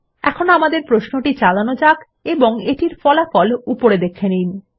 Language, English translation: Bengali, Let us now run the query and see the results at the top